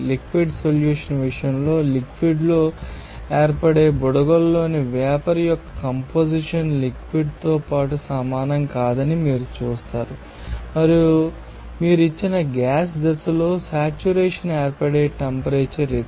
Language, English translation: Telugu, In the case of liquid solution, you will see that composition of the vapor in the bubbles that form in the liquid is not same as that of the liquid and you point it will be the temperature at which saturation occurs in the gas phase for a given pressure